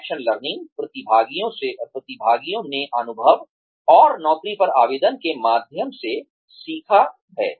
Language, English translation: Hindi, Action learning is, participants learned through experience, and application on the job